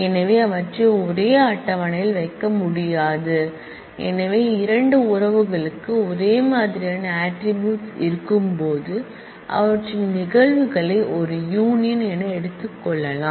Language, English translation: Tamil, So, they cannot be put to a same table so when 2 relations have the same set of attributes then their instances can be taken a union of